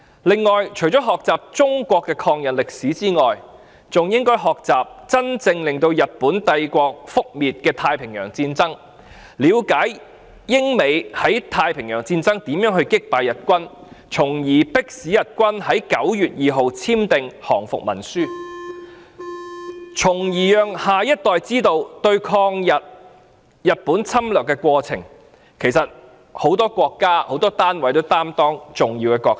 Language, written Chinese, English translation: Cantonese, 此外，除了學習中國的抗日歷史之外，還應該學習真正令日本帝國覆滅的太平洋戰爭，了解英美在太平洋戰爭如何擊敗日軍，從而迫使日軍在9月2日簽訂降伏文書，令下一代知道在對抗日本侵略的過程中，很多國家和單位也擔當重要的角色。, In addition to studying the history about Chinas resistance against Japan we should also know about the Pacific War which really ruined the Japanese Empire and understand how the United Kingdom and the United States defeated the Japanese armies in the Pacific War forcing the Japanese armies to sign the Instrument of Surrender on 2 September that year . This will enable the younger generation to understand that many countries and units also played an important role in the war of resistance against Japanese aggression